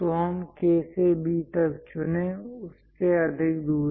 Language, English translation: Hindi, So, let us pick from K to B, a distance greater than that